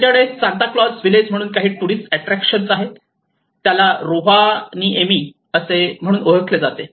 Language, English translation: Marathi, They have also some tourist attractions of Santa Claus village which we call it as Rovaniemi